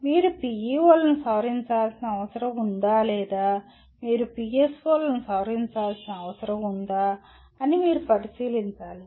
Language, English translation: Telugu, You have to take a look at it whether you need to modify PEOs or whether you need to modify PSOs